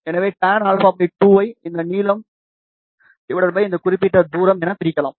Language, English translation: Tamil, So, tan alpha by 2 can be written as this length divided by this particular distance